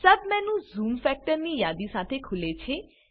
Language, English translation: Gujarati, A submenu opens with a list of zoom factors